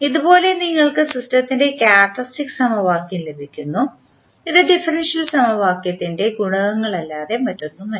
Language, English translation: Malayalam, So, with this you get the characteristic equation of the system which is nothing but the coefficients of the differential equation